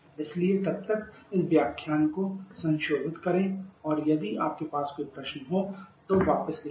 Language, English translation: Hindi, So till then just revise this lecture and if you have any query right back to me, Thank you